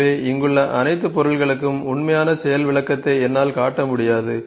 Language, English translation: Tamil, So, I just cannot show you the actual demonstration for all the objects here